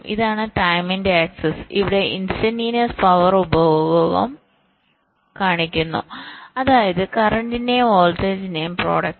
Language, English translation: Malayalam, this is the access of time and here we show the instantaneous power consumption, which means the, the product of the current and the voltage